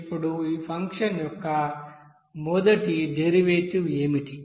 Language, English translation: Telugu, Now what should be the derivative of this first derivative of this function